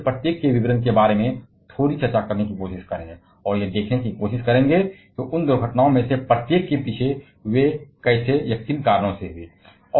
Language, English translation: Hindi, We shall be try to discuss a bit about the details of each of them, and try to see how they happened or whatever reasons behind each of those accidents